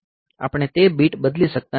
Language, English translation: Gujarati, So, we cannot change that bit